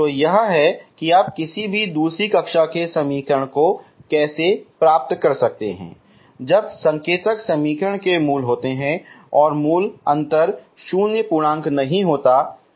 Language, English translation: Hindi, So this is how you can get any second order equation when the indicial equation has roots and root difference is non zero integer, okay